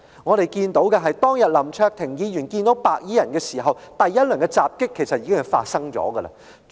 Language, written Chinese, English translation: Cantonese, 我們所看到的，是當天林卓廷議員遇上白衣人時，第一輪襲擊已經發生。, As we can see when Mr LAM Cheuk - ting encountered those white - clad gangsters that day the first round of attack had already taken place